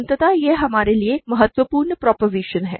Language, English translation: Hindi, So, this is an important proposition for us